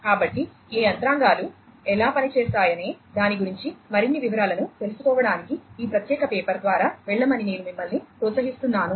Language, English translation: Telugu, So, I would encourage you to go through this particular paper to learn more details about how this these mechanisms work